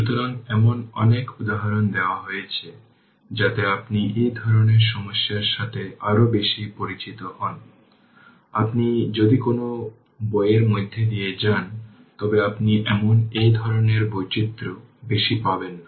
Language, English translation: Bengali, So, many examples giving such that you should not face any problem, if you go through any book I will say that any book you go through you will not get more than this kind of variation in the problem